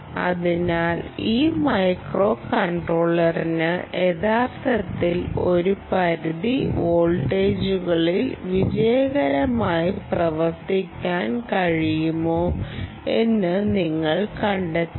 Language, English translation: Malayalam, so you should find out whether this microcontroller can actually work successfully over a range of voltages